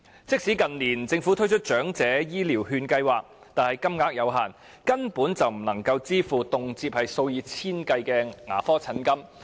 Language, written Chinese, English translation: Cantonese, 即使政府近年推出長者醫療券計劃，但金額有限，根本不足以支付動輒數以千計的牙科診金。, Although the Government has launched the Elderly Health Care Voucher Scheme in recent years the amount granted is so limited that it is hardly enough for meeting the high dental service charges which can easily amount to thousands of dollars